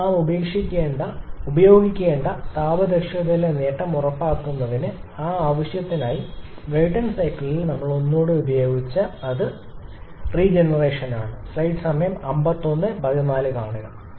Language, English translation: Malayalam, So, for that purpose in order to ensure the gain in the thermal efficiency we have to use something that again we have used in a Brayton cycle, which is the regeneration